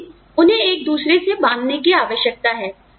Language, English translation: Hindi, But, they need to be inter twined